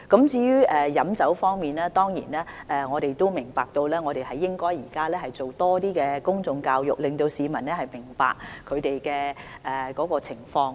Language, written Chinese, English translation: Cantonese, 至於酒精飲品方面，我們亦明白到現時應該多做公眾教育，令市民明白有關的情況。, As regards alcoholic beverages we are also aware that public education should be strengthened so as to help people understand the relevant situation